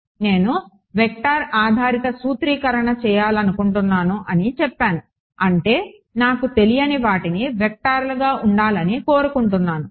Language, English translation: Telugu, I said I wanted to do a vector based formulation; that means, my unknowns wanted needed to be vectors